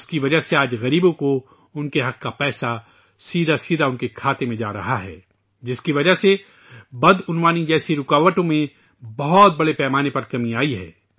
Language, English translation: Urdu, Today, because of this the rightful money of the poor is getting credited directly into their accounts and because of this, obstacles like corruption have reduced very significantly